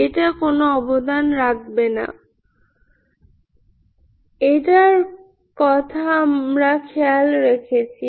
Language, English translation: Bengali, This will not contribute, this we have taken care